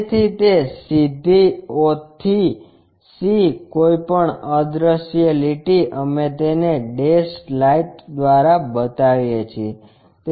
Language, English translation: Gujarati, So, that c all the way from o to c whatever invisible line we show it by that dash lights